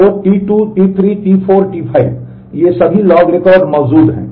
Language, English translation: Hindi, So, T 2, T 3, T 4, T 5 all these log records exist